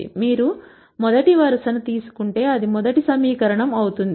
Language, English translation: Telugu, If you take the first row, it will be the first equation and so on